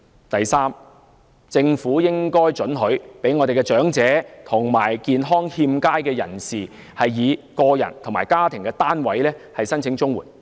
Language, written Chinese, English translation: Cantonese, 第三，政府應准許長者及健康欠佳的人士以個人或家庭單位申請綜援。, Third the Government should allow elderly people and those in ill health to apply for CSSA on an individual basis or a household basis